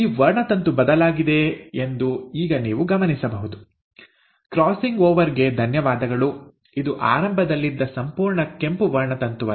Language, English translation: Kannada, Now you will notice that this chromosome, thanks to the crossing over has changed, it is not the complete red chromosome, what it was in the beginning